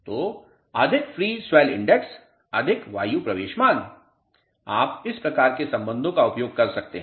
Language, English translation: Hindi, So, more the free swell index more the air entry value you can use this type of relationship